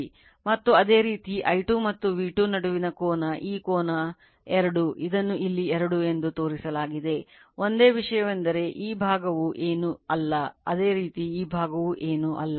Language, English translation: Kannada, And similarly angle between I 2 and V 2 this angle is equal to phi 2 it is shown here it is phi 2, right only thing is that this this this portion is nothingthis portion is nothing but, similarly this portion is nothing, right